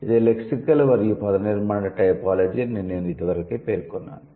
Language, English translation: Telugu, We were discussing lexical and morphological typology